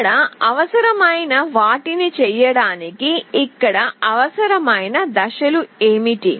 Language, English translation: Telugu, What are the steps that are required here to do the needful